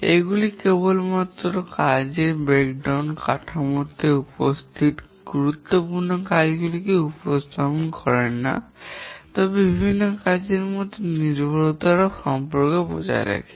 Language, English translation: Bengali, These not only represent the important tasks that are present in the work breakdown structure, but also the dependency relations among the different tasks